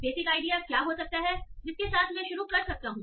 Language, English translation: Hindi, So what may be the basic idea or intuition that I can start with